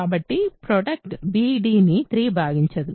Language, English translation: Telugu, So, 3 does not divide b and d